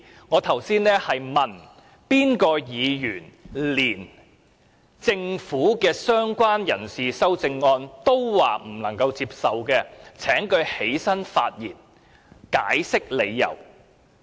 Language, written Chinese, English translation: Cantonese, 我剛才說的是，如有議員連政府就"相關人士"提出的修正案都不能接受，請他站起來發言，解釋理由。, What I said just now was that any Member who cannot even accept the amendments relating to related person proposed by the Government should rise to speak and explain his reasons